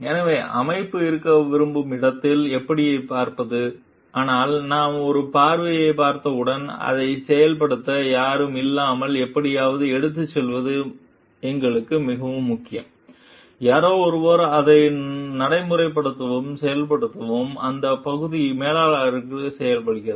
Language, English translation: Tamil, So, how to see the organization where it wants to be but, when we have seen a vision so it is very important for us somehow to carry the without someone to execute it; someone to practice and implement it, so that part is done by the managers